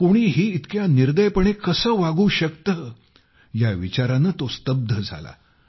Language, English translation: Marathi, He was left stunned at how one could be so merciless